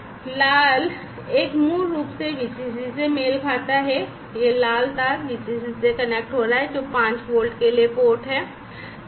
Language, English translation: Hindi, So, the red one basically corresponds to this VCC, this red wire is connecting to the VCC which is the port for 5 plus 5 volts